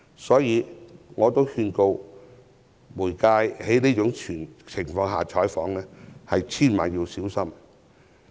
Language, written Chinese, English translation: Cantonese, 所以，我奉勸傳媒在這種情況下採訪要千萬小心。, Thus I advise media workers to be very careful under such circumstances